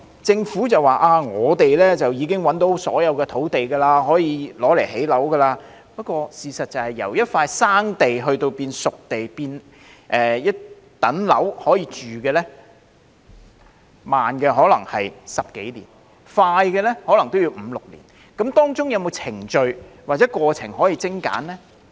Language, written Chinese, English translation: Cantonese, 政府表示已覓得所有可用作興建樓宇的土地，不過事實是，由一塊"生地"變成"熟地"以至可以入伙居住的樓宇，慢則可能需時10多年，快則可能也要5年或6年，當中有沒有程序或過程可以精簡呢？, According to the Government it has identified all the sites that can be used for housing construction . As a matter of fact however it may in the case of slow progress take more than 10 years to transform a potential site into a spade - ready site on which residential buildings are constructed and ready for occupation and it may take five or six years even if things proceed at a fast pace . Are there any procedures or processes that can be streamlined?